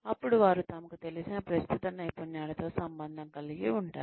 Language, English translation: Telugu, Then, they can relate to the existing skills, that they are familiar with